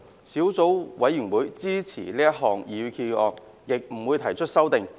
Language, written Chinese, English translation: Cantonese, 小組委員會支持這項擬議決議案，亦不會提出修正案。, The Subcommittee supports this proposed resolution and will not propose any amendments